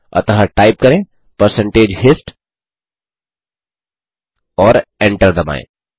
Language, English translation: Hindi, So type percentage hist on the terminal and hit enter